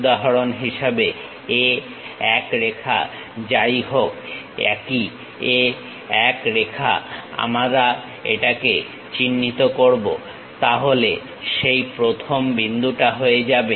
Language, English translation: Bengali, For example, whatever the line A 1, same A 1 line we will mark it, so that first point will be done